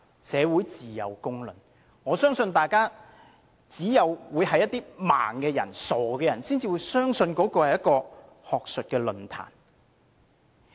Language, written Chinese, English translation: Cantonese, 社會自有公論，我相信只有視而不見的傻人才會相信那是一場學術論壇。, Public opinion is the best judge . I think only idiots turning a blind eye to everything will believe it was an academic forum